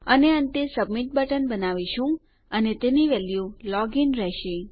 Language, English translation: Gujarati, And finally well create a submit button and its value will be Log in